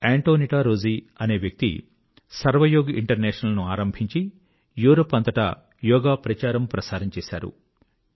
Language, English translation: Telugu, AntoniettaRozzi, has started "Sarv Yoga International," and popularized Yoga throughout Europe